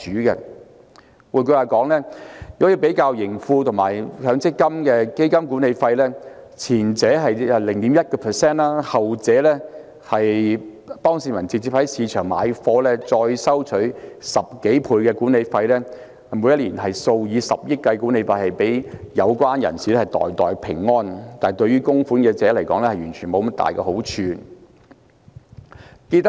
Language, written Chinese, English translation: Cantonese, 如果比較盈富基金和強積金的基金管理費，前者是 0.1%， 後者是由市民直接在市場購買，管理費高出10多倍，每年數以十億元計的管理費予有關人士袋袋平安，但對於供款者卻沒有多大好處。, If we compare the fund management fees of the Tracker Fund and MPF the former is 0.1 % while the latter is more than 10 times higher as the public directly buy funds in the market . The annual management fees amounting to billions of dollars are pocketed by the persons concerned but people making contributions are not considerably benefited